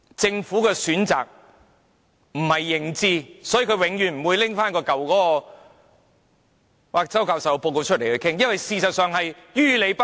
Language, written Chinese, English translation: Cantonese, 政府是基於選擇而不是認知，因此它永遠不會拿周教授的報告來討論，因為它實在於理不合。, Hence the Government will never explore the scheme proposed in Prof CHOWs report because it chooses not to do so rather than acknowledging that it should not do so . The Government simply cannot justify itself if it does so